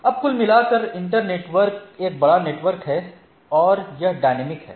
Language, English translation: Hindi, Now, overall inter network is a large network and that is dynamic and so and so forth